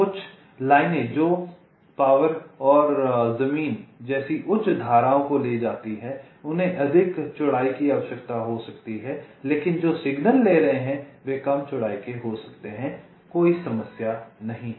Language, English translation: Hindi, ok, some of the lines which carry higher currents, like power and ground, they may need to be of greater width, but the ones which are carrying signals, they may be of less width